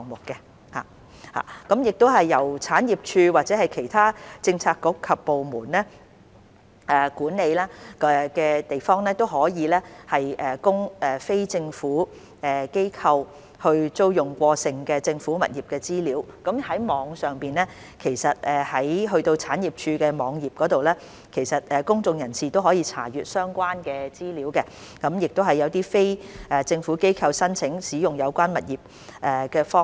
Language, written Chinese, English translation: Cantonese, 由政府產業署或者其他政策局及部門所管理，可供非政府機構租用的過剩政府物業的資料，其實已上載至政府產業署的網頁供公眾人士查閱，當中也有一些非政府機構申請使用有關物業的方法。, Information on surplus government accommodation managed by the Government Property Agency GPA or other Policy Bureaux and departments that are available for lease by NGOs has actually been uploaded onto the GPA website for public information . There is also information on how NGOs apply for the use of such properties